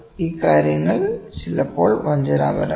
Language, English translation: Malayalam, These things are deceptive sometimes